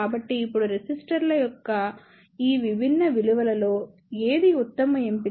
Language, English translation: Telugu, So, now, which one is the best choice among these different values of resistors